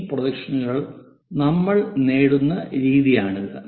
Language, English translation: Malayalam, this is the way we obtain this projections